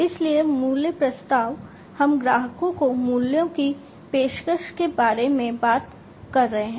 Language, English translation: Hindi, So, value proposition we are talking about offering values to the customers